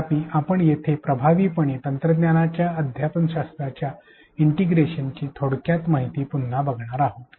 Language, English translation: Marathi, However, here we are going to briefly reiterate the integration of technology with pedagogy in an effective manner